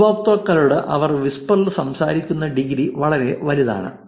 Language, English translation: Malayalam, 47 the degree in which they interact with the users in whisper is pretty large